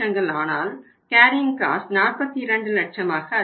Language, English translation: Tamil, But the carrying cost will go up to 42 lakhs